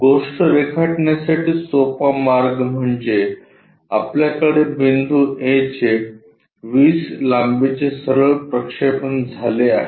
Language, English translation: Marathi, Let us look at the solution To draw the thing the easy way is we have the point A straight forward projection of 20 lengths is done